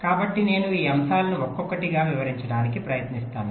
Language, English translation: Telugu, so i shall be trying to explain this points one by one